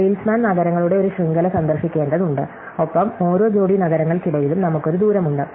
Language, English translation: Malayalam, So, a salesman is supposed to visit a network of cities and between each pair of cities, we have a distance